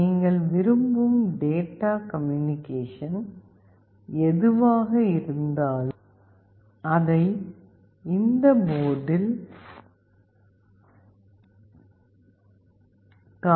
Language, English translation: Tamil, Whatever data communication you want you can see it in this port